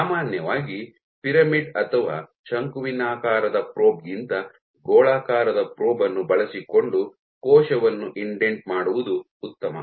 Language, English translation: Kannada, So, generally it is better to indent a cell using a spherical probe than a pyramidal or conical probe